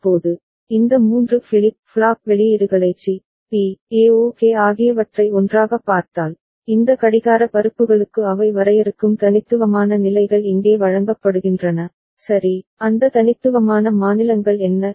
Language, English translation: Tamil, Now, if you look at these 3 flip flop outputs together C, B, A ok, the unique states they define for these clock pulses that is fed over here ok, then what are those unique states